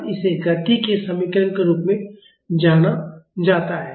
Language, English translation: Hindi, So, this is known as the equation of motion